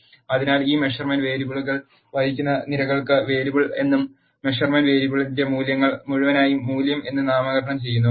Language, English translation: Malayalam, So, the columns which carries this measurement variables is named as variable and which wholes the values of the measurement variable is named as value